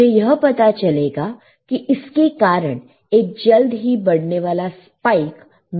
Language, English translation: Hindi, I find that it will result in a fast raising spike